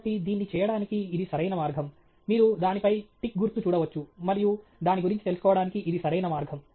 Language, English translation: Telugu, So, this the right way to do it; you can see the tick mark on it and that’s a right way to go about it